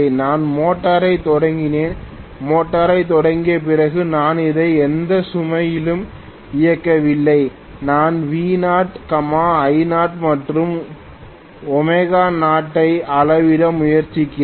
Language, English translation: Tamil, I have started the motor, after starting the motor I am just running it on no load, I am trying to measure V naught, I naught and W naught